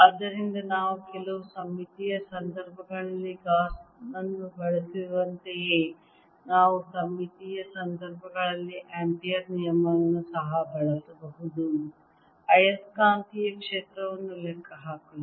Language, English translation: Kannada, so just like we use gauss's in certain symmetric situations, we can also use ampere's law and symmetry situations to calculate the magnetic field